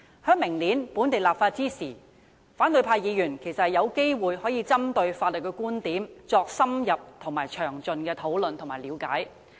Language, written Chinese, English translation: Cantonese, 在明年進行本地立法時，反對派議員其實有機會可針對法律觀點作深入、詳盡的討論和了解。, When local legislation is enacted next year Members of the opposition camp will have the opportunity to conduct detailed and thorough discussions and examination of the legal opinions involved